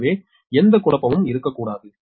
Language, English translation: Tamil, so there should not be any confusion, right